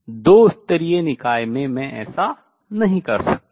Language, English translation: Hindi, So, in two level system I cannot do that